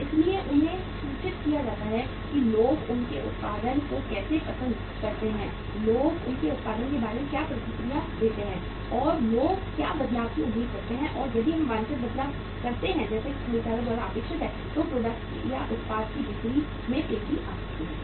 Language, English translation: Hindi, So they remain informed that how people like their production, how people react about their product, and what changes people expect and if we make the desired changes as designed as expected by the by the buyers then the sales of the product may pick up